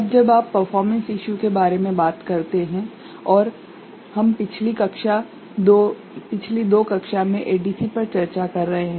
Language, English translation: Hindi, Now, when you talk about performance issues, and we have been discussing ADC in last two classes